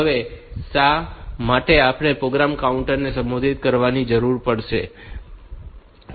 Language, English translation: Gujarati, Now, why do we may need to modify the program counter